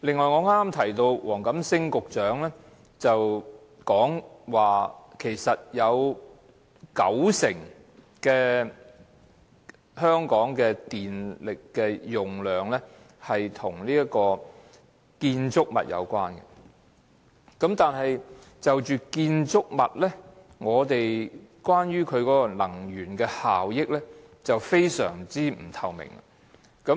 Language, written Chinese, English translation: Cantonese, 我剛才提到黃錦星局長表示，香港有九成耗電量與建築物有關，但關於建築物的能源效益卻非常不透明。, Just now I quoted Secretary WONG Kam - sings remark that buildings account for about 90 % of the citys electricity use but the energy efficiency of buildings is not transparent at all